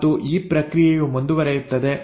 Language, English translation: Kannada, And this process keeps on continuing